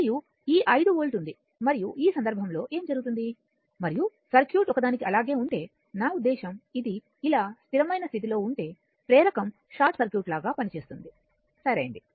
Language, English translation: Telugu, And this 5 volt is there and in that case what will happen and if circuit remains for a I mean if it is like this then at steady state, the inductor will act as a short circuit right